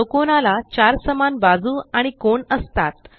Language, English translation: Marathi, A square has four equal sides and four equal angles